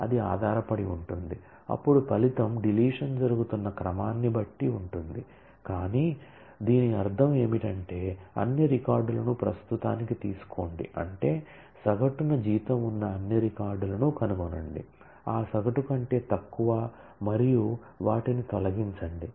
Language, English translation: Telugu, So, that will depend then the result will depend on the order in which the deletion is happening, but that is not what was meant what was meant is take all the records for the present find out the average find out all records which have a salary less than that average and remove them